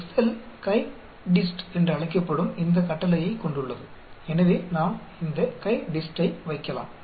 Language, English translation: Tamil, Excel has this command called CHI DIST so we can put this CHI DIST i had explain this command